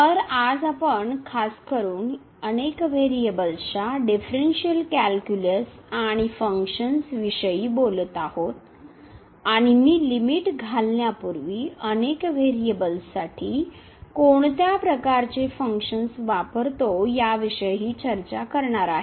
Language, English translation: Marathi, So, today in particular we are talking about now the Differential Calculus and Functions of Several Variables and before I introduce the limits, I will also discuss what type of these functions we mean for the several variables